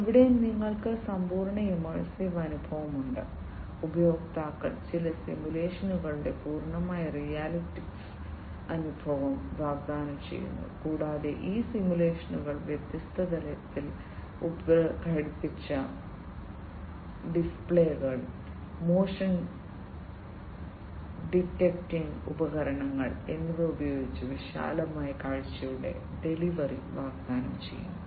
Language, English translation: Malayalam, Here it you have complete immersive experience; complete realistic experience is offered through some simulations to the users, and these simulations offer a delivery of a wide field of view using different head mounted displays, motion detecting devices and so, on